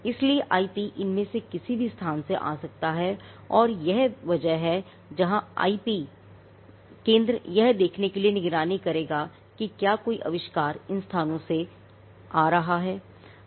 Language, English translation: Hindi, So, IP could come out of any of these places and this is where the IP centre will be monitoring to see whether any invention is coming out of these avenue